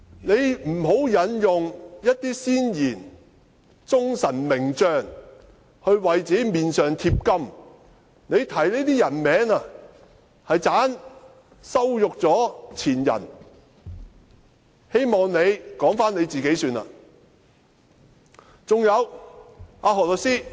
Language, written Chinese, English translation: Cantonese, 他不要引用一些先賢、忠臣名將來為自己的臉上貼金，他提出這些名字，只會羞辱前人，我希望他只說自己便好。, He should not quote ancient sages loyalists or famous generals to glorify himself . When he mentions their names he would only humiliate his predecessors . I hope he will just talk about himself